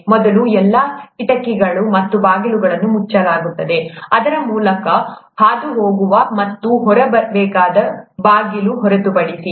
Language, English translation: Kannada, First all the windows and doors are sealed except the passage through, or the door through which we need to get out